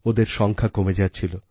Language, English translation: Bengali, Their number was decreasing